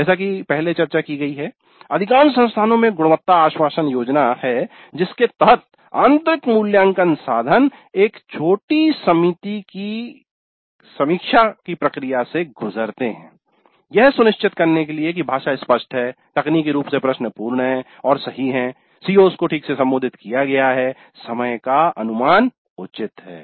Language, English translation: Hindi, And as we discussed earlier, most of the institutes do have a quality assurance scheme whereby the internal assessment instruments go through a process of review by a small committee to ensure that the language is unambiguous the technically the question is complete and correct